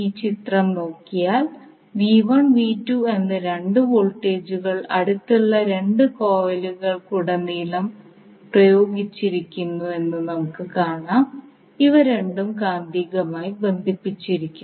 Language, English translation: Malayalam, Let us see this particular figure where we have V1 andV2 2 voltages applied across the 2 coils which are placed nearby, so these two are magnetically coupled